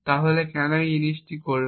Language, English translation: Bengali, So why would this thing work